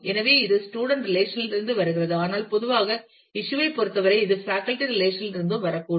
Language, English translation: Tamil, So, it is coming from the student relation, but in general in terms of issue it may also come from faculty relations